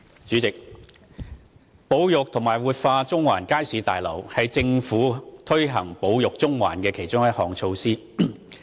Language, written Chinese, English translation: Cantonese, 主席，保育和活化中環街市大樓是政府推行"保育中環"的其中一項措施。, President the preservation and revitalization of the Central Market Building is one of the measures under Conserving Central